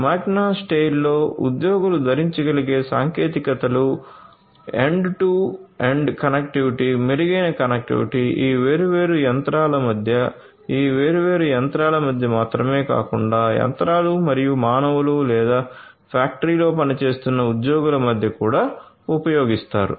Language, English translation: Telugu, In Magna Steyr the employees use wearable technologies in order to have end to end connectivity, improved connectivity, between these different machines, not only between these different machines but also the machines and the humans or the employees that are working in the factory